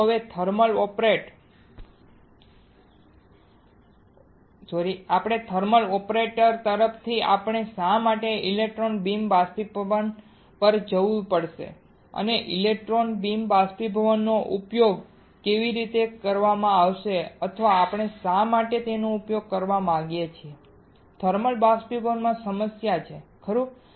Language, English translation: Gujarati, So now, from thermal operator why we have to go to electron beam evaporation and how the electron beam evaporation would be used or why we want to use it is there a problem with thermal evaporator right